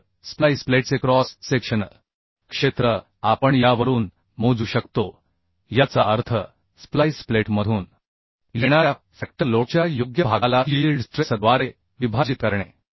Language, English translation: Marathi, So the cross sectional area of the splice plate we can calculate from this that means dividing the appropriate portion of the factor load coming from the splice plate Coming over the splice by the yield stress right